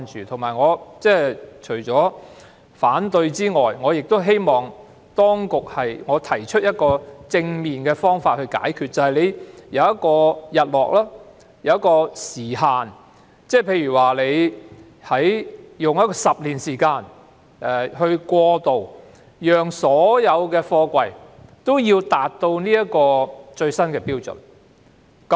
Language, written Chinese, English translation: Cantonese, 除了提出反對外，我亦希望提出正面的方法解決問題，便是訂定日落條款，設定時限，例如給予10年時間以作過渡，讓所有貨櫃皆能符合最新標準。, I am concerned about this . Apart from raising opposition I would also like to put forward a positive solution to this problem . A sunset clause may be stipulated to set a time limit say all containers should meet the latest standard within a transitional period of 10 years